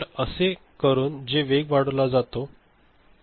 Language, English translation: Marathi, So, by which a speed up is achieved, right